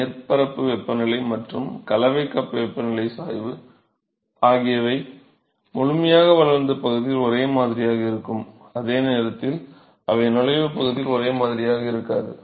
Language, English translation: Tamil, So, the surface temperature gradient and the mixing cup temperature gradient are same in the fully developed region, while they are not same in the entry region ok